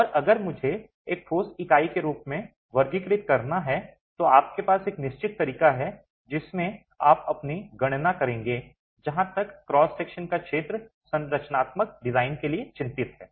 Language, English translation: Hindi, And if I were to classify that as a solid unit, then you have a certain way in which you will make a calculations as far as area of cross section is concerned for structural design